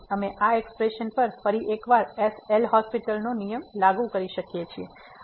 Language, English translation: Gujarati, So, we can apply the L’Hospital’s rule once again to this expression